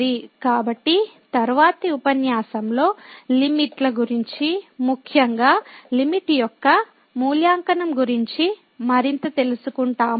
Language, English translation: Telugu, So, in the next lecture, we will learn more on the Limits, the evaluation of the limit in particular